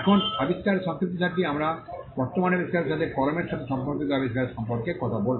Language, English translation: Bengali, Now, summary of the invention we will talk about the invention the present invention relates to a pen so and so